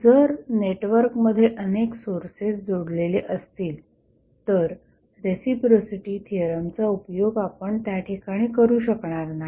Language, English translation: Marathi, So, if there is a network were multiple sources are connected you cannot utilize the reciprocity theorem over there